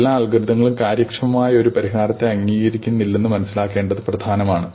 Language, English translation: Malayalam, It is important to realize that not every algorithm admits an efficient solution